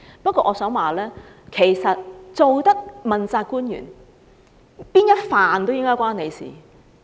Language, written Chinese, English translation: Cantonese, 不過，我想說，其實身為問責官員，任何範疇都理應與他有關。, Nevertheless I wish to say that as an accountability official any area should rightly be relevant to him